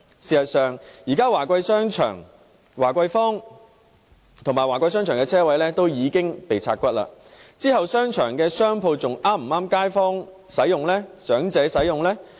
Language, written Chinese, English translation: Cantonese, 事實上，現時在名為華貴坊的華貴商場內的車位已經被"拆骨"，日後商場的商鋪是否還適合街坊和長者使用呢？, In fact at present the parking spaces in the Wah Kwai Shopping Centre which is now called Noble Square have all been parcelled out so will the shops in the shopping centre still cater to local residents and the elderly?